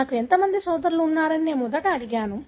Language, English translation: Telugu, I first ask how many brothers I have